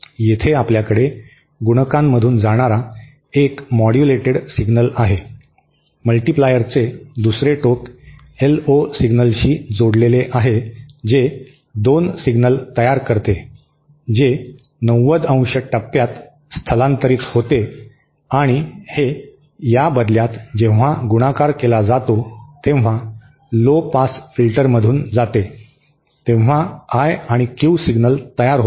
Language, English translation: Marathi, Here we have that modulated signal passing through a multiplier, the other end of the multiplier is connected to an LO signal which produces 2 signals which are 90¡ phase shifted and this in turn when multiplied lead to and pass through a lowpass filter produced the I and Q signals back